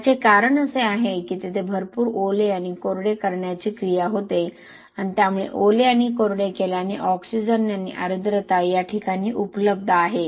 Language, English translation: Marathi, Why is it happening is that is a lot of wetting and drying action happening there and plus because of the wetting and drying you actually ensure that both the oxygen and moisture are available at this location